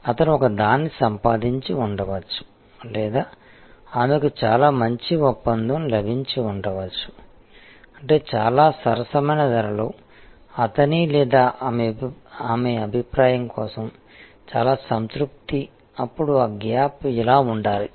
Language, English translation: Telugu, He might have got a or she might have got a very good deal; that means, a lot of satisfaction for in his or her opinion in a very reasonable price, then that gap should have been this